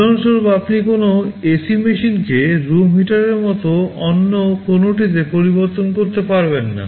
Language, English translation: Bengali, You cannot change an ac machine to something else like a room heater for example